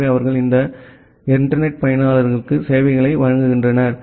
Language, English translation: Tamil, So, they are providing services to these internet users